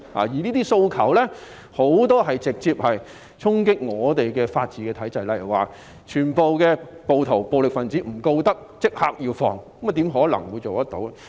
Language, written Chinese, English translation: Cantonese, 這些訴求很多直接衝擊香港的法治體制，例如不起訴所有暴徒、暴力分子，並立即釋放他們，怎可能做到。, Most of such demands deal a direct blow to the rule of law regime of Hong Kong such as no prosecution against all rioters and violent persons and their immediate release . How can these demands be satisfied?